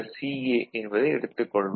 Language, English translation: Tamil, So, this is A, right